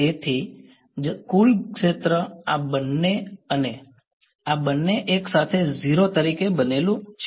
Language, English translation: Gujarati, So, that is why the total field is composed of both of these and both of these together as 0